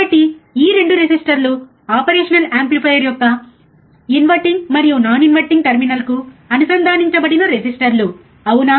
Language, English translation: Telugu, yes so, these 2 resistors are the resistors connected to inverting and non inverting terminal of the operational amplifier, correct